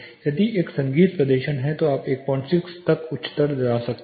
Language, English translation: Hindi, If it is a music performance you can go as highest 1